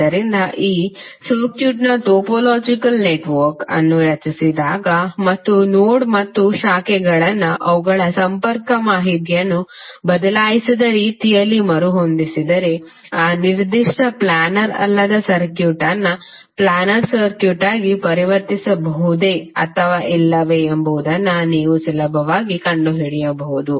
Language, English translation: Kannada, So when you create the topological network of this circuit and if you rearrange the nodes and branches in such a way that their connectivity information is not changed then you can easily find out whether that particular non planar circuit can be converted into planar circuit or not